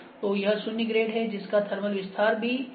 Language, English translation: Hindi, So, it is zero grade that is thermal expansion is also 0